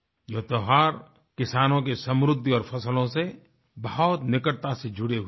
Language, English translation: Hindi, These festivals have a close link with the prosperity of farmers and their crops